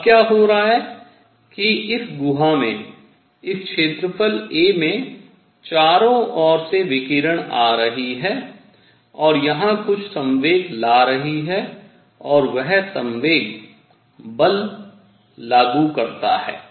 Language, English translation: Hindi, Now what is happening is that in this cavity; at this area a, radiation is coming from all over and it is bringing in some momentum and that momentum applies force